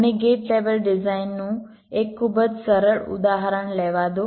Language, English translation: Gujarati, ok, let me take one very simple example of a gate level design